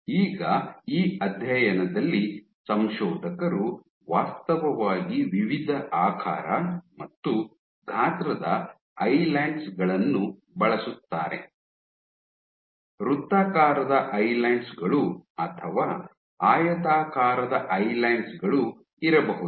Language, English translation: Kannada, Now in this study the authors are actually used Islands of different shapes and sizes right, you had a circular Islands or you have rectangular Islands